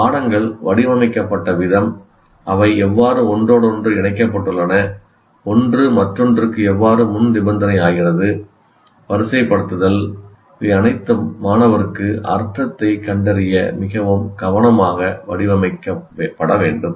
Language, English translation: Tamil, The way the courses are designed, how they are interconnected, how one becomes a prerequisite to the other, the sequencing, all of them will have to be very carefully designed for the student to find meaning